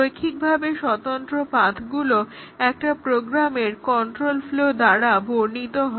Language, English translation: Bengali, The linearly independent paths are defined on a control flow graph of a program